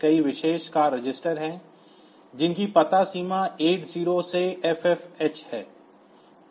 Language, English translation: Hindi, So, there are many special functions registers ranging whose address is 8 0 to FFh